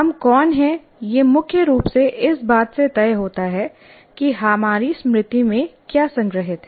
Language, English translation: Hindi, Who we are is essentially decided by what is stored in our memory